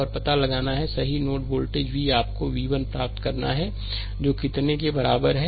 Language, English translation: Hindi, And we have to find out, right node volt v you have to obtain v 1 is equal to how much